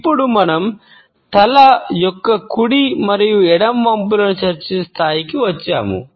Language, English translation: Telugu, And now, we come to the point of discussing our right and left handed tilts of the head